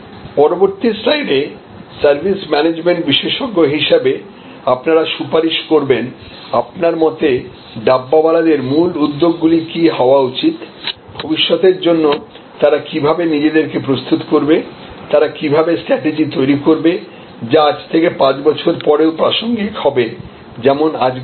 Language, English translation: Bengali, And in the next slide, I would like you to therefore recommend as the service management expert that what will be in your opinion, what should be the key initiatives, the Dabbawala should take, how should they prepare themselves for the future, how will they strategies to be as relevant 10 years from now as they are today